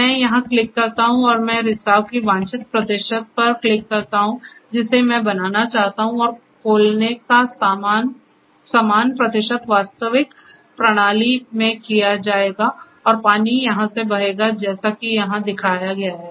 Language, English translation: Hindi, So, I just click here and I click the desired percentage of leakage that I want to create and the same percentage of opening will be done in the actual system and the water will flow through as it is shown here